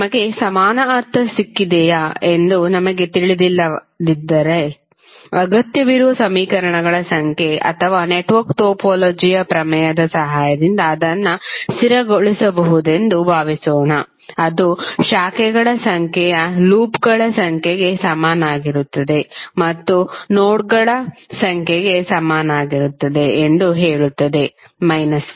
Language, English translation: Kannada, We also discussed that suppose if we do not know whether we have got equal means the required number of equations or not that can be stabilized with the help of theorem of network topology which says that number of branches equal to number of loops plus number of nodes minus 1